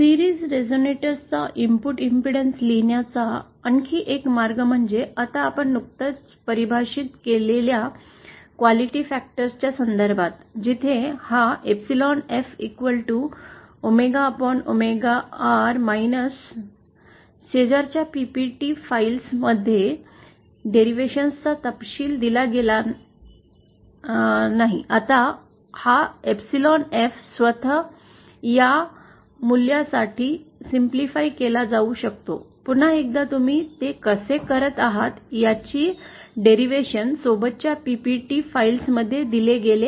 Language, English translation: Marathi, Another way of writing the input impedance of a series resonator is like this, in terms of the quality factors that we just defined where this epsilon f is equal to omega upon, not the details about the derivation is given in the adjoining, in the accompanying the PPT files with this course, you can go through it